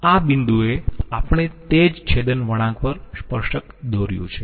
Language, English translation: Gujarati, And at this point we have drawn the tangent to that particular intersection curve